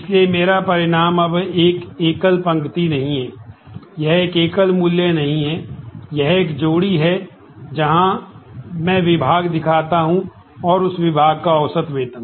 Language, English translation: Hindi, So, my result now, is not a single row, it is not a single value it is a pair where, I show the department and the average salary in that department